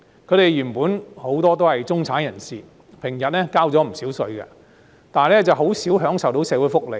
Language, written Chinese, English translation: Cantonese, 他們原本很多都是中產人士，平日交了不少稅，但很少享受到社會福利。, Many of them were originally middle - class people rarely entitled to social welfare despite paying quite a lot of tax in normal times